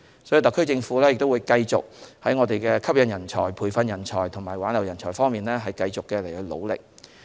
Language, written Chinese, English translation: Cantonese, 所以，特區政府會繼續在吸引人才、培訓人才和挽留人才方面努力。, Therefore the SAR Government will continue to put more efforts in attracting training and retaining talents